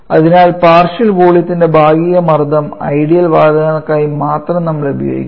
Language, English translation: Malayalam, So use this sum partial pressure of partial volume only for ideal gases